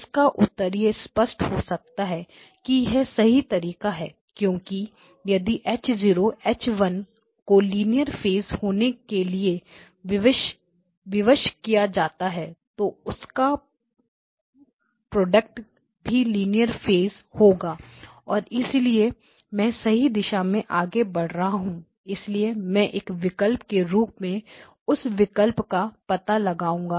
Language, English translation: Hindi, The answer is it may be sort of obvious that that is the right way to go because if H0 and H1 are constrained to be linear phase, the product of them will be linear phase and therefore I am kind of moving in the right direction, so I will explore that option as one thing The other option that we want to explore is we are multi rate signal processing